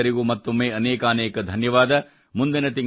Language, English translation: Kannada, Once again, many thanks to all of you